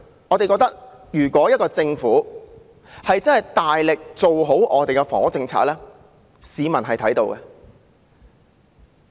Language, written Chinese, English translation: Cantonese, 我們覺得，政府如真的大力做好房屋政策，市民是看到的。, We are convinced that if the Government truly strives for a better housing policy the public will see it